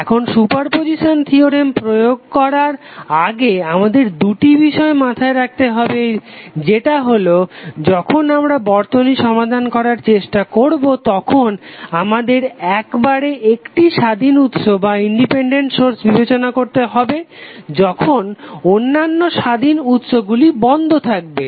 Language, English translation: Bengali, Now before applying this super position theorem we have to keep 2 things in mind that when you try to solve the circuit you will consider only one independent source at a time while the other independent sources are turned off